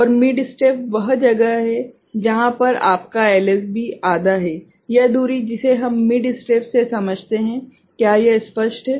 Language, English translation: Hindi, And mid step is where it is your half LSB, this distance that is what we understand by mid step, is it clear